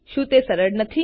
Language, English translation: Gujarati, Isnt it simple